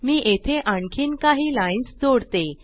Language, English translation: Marathi, Let me add few more lines here